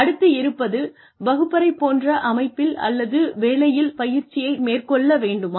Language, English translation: Tamil, Should training take place, in a classroom setting, or on the job